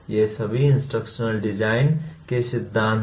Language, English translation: Hindi, These are all theories of instructional design